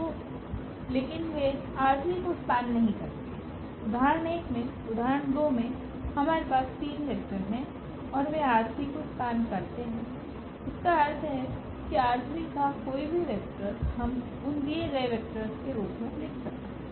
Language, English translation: Hindi, So, but they do not span R 3 in example 1 in example 2 we have three vectors and they span R 3 means any vector of R 3 we can write down in terms of those given vectors